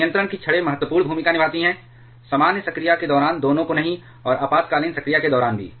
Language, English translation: Hindi, So, control rods have important roles to play, both during the normal operation to not both and also during emergency operation